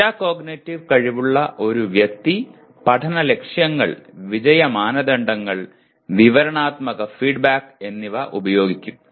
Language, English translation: Malayalam, So that is what a person with metacognitive ability will use learning goals, success criteria, and descriptive feedback